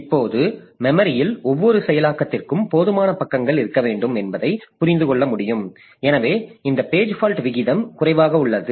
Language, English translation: Tamil, Now, as you can understand that we should have enough number of pages for every process in the memory so that this page fault rate is low